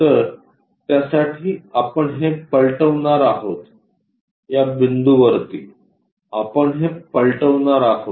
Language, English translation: Marathi, So, about that we are going to flip it, above these points we are going to flip it